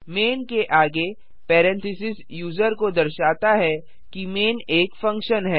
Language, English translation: Hindi, Parenthesis followed by main tells the user that main is a function